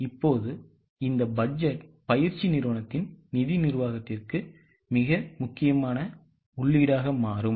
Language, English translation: Tamil, Now this budgeting exercise becomes a very important input for financial management of the company